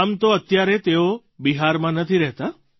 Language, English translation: Gujarati, In fact, he no longer stays in Bihar